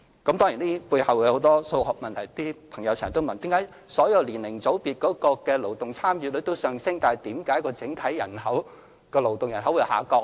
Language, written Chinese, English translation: Cantonese, 有些朋友經常問：為何當所有年齡組別的勞動參與率均上升時，整體人口的勞動人口還會下降呢？, Some people often ask Why would the overall workforce decrease when the participation rates of all age groups in the workforce were on the rise?